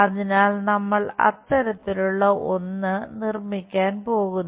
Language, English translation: Malayalam, So, something like that we are going to construct